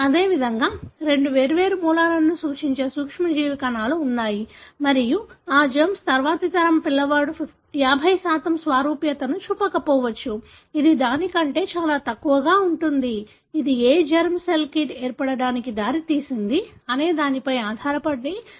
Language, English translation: Telugu, Likewise, there are germ cells which represent two different origins, and that germs, the next generation the child may not show 50% similarity, it will be much less than that, depending on which germ cell led to the formation of the kid and so on